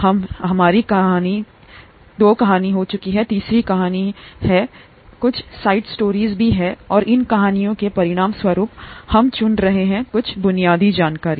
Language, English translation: Hindi, We are into our third story and some side stories and as a result of these stories we are picking up some basic information